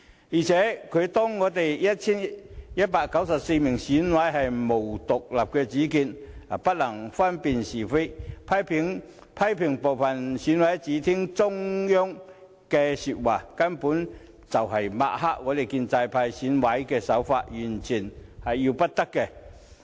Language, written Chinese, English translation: Cantonese, 再者，他把我們 1,194 名選委看成毫無獨立主見，而且不能分辨是非，又批評部分選委只聽令於中央，這根本是在抹黑建制派的選委，完全要不得。, Worse still he has portrayed our 1 194 EC members as people lacking independent thinking and the ability to distinguish right from wrong . He has also criticized that some EC members only receive orders from the Central Authorities . This is absolutely an attempt to sling mud at the pro - establishment camp and is totally unacceptable